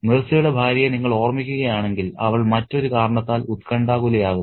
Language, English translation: Malayalam, If you remember the wife of Mirza, she becomes anxious for another reason